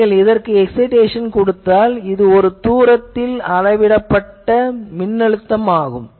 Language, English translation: Tamil, If you give an excitation of this, this is the measured voltage at a distance